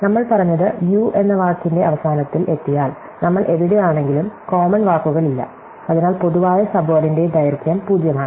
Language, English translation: Malayalam, So, what we said is that if we have reach the end of the word in u, then no matter where we are in v, there is no commons of word, so length of the common subword is 0